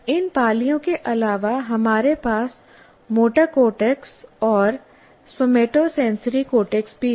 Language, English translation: Hindi, In addition to this, you have two motor cortex and somatosensory cortex